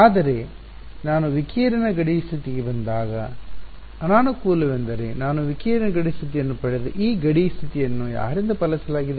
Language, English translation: Kannada, But on the disadvantage when I come to the radiation boundary condition the disadvantage is, that this boundary condition which I just derive radiation boundary condition it was obeyed by whom